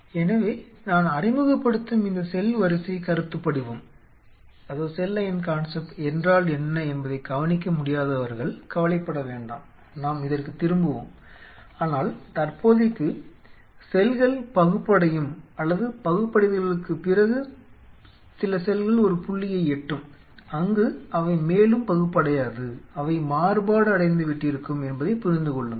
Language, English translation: Tamil, So, do not worry for those who are unable to track what is this cell line concept I am introducing we will come back to this, but for the time being understand that the cell either will divide an or some after division they will reach a point where they would not divide any further there will be differentiated